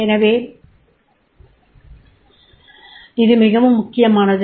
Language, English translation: Tamil, This is very, very important